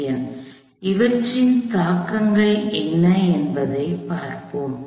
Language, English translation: Tamil, So, let see what the implications of these are